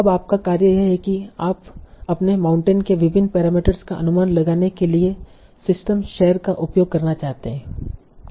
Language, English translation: Hindi, Now your task is that you want to use this structure to estimate different parameters of your model